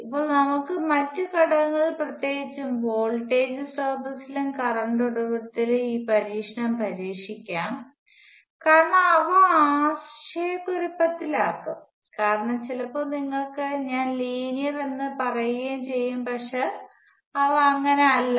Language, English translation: Malayalam, Now let us try this test on other elements; particularly voltage source and the current source, because they can be confusing sometimes you can apply I would definition of linearity and say that linear but they are not